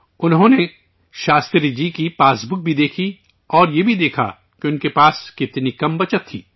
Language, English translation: Urdu, He also saw Shastri ji's passbook noticing how little savings he had